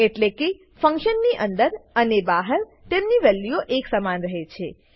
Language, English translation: Gujarati, * This means, their values remains the same inside and outside the function